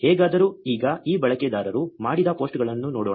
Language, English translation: Kannada, Anyway, so now, let us look at the posts that this user has done